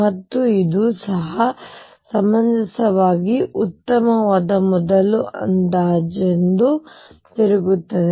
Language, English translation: Kannada, And it turns out that even this is a reasonably good first of approximation